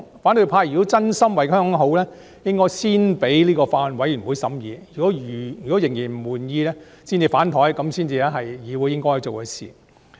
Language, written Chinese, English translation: Cantonese, 反對派若真心為香港好，便應該先讓法案委員會進行審議，審議後仍然不滿意才"反檯"，這樣才是議會應該做的事。, If the opposition camp were really sincere in working for the good of Hong Kong they should allow the Bills Committee to conduct its scrutiny of the Bill and only turn against it if they were still dissatisfied after the scrutiny . It is what the Council should do